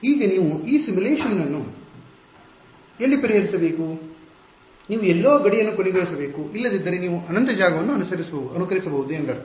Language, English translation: Kannada, Now where do you to solve this simulation you need to terminate the boundary somewhere otherwise you I mean you can simulate infinite space